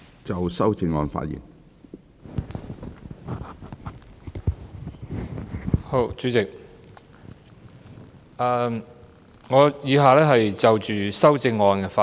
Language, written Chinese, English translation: Cantonese, 主席，我以下就修正案發言。, President I now speak on the amendments